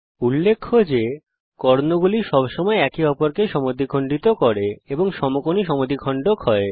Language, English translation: Bengali, Notice that the diagonals always bisect each other and are perpendicular bisectors